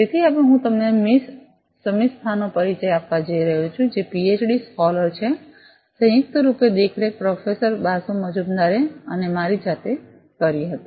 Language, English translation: Gujarati, So, I am going to now introduce to you Miss Shamistha, who is a PhD scholar, jointly been supervised by Professor Basu Majumder and by myself